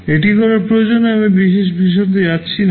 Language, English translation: Bengali, The need for doing this I am not going into detail